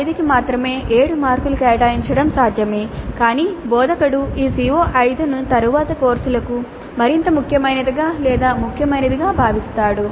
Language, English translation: Telugu, It is possible to allocate 7 marks only to the CO5 but the instructor perceives the CO5 to be more important, significant for later courses